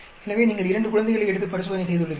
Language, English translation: Tamil, So, you have taken two infants and carried out the experiment